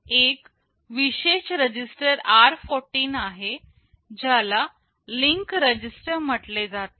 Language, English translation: Marathi, There is a special register r14 which is called the link register